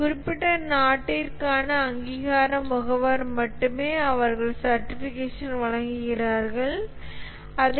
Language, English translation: Tamil, It's only the accredition agencies for specific country they provide the certification whereas CMM there is no certification actually